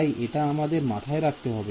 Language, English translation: Bengali, So, we have to keep in mind that